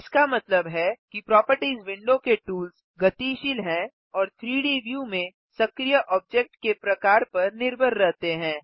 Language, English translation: Hindi, This means that the tools in the Properties window are dynamic and depend on the type of active object in the 3D view